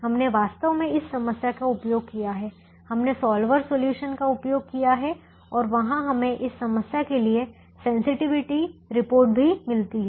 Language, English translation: Hindi, we have actually used keep the solver solution and there we also get the sensitivity report for this problem